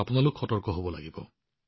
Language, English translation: Assamese, You just have to be alert